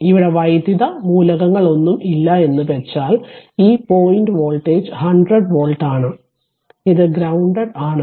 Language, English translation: Malayalam, So, no electrical element here means, this point voltage is 100 volt and if I say it is it is grounded